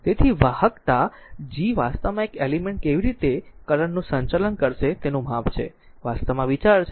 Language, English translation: Gujarati, So, the conductance G actually is a measure of how well an element will conduct current, this is actually the idea